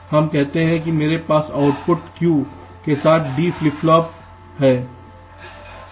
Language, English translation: Hindi, let say i have a deep flip flop with the output q